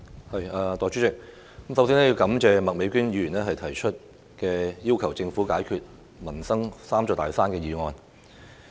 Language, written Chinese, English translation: Cantonese, 代理主席，我首先感謝麥美娟議員提出"要求政府解決民生'三座大山'"這項議案。, Deputy President first of all I thank Ms Alice MAK for proposing this motion on Requesting the Government to overcome the three big mountains in peoples livelihood